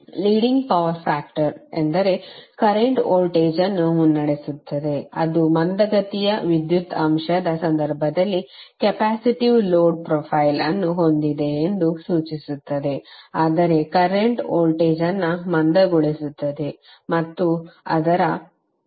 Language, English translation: Kannada, Leading power factor means that currently it’s voltage which implies that it is having the capacitive load file in case of lagging power factor it means that current lags voltage and that implies an inductive load